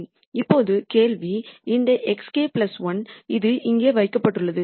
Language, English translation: Tamil, Now, the question is this x k plus 1 where is it placed